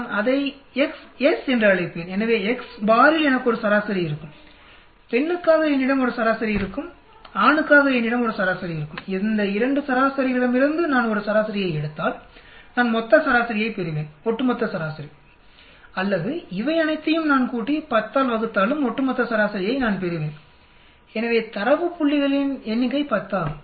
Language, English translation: Tamil, , I will call it x bar s, so I will have a mean for x bar, I will have a mean for female, I will have a mean for male if I take mean of these 2 means I will get total mean over all mean or I add up all these and I divide by 10 also, I will get over all mean so the number of data points is 10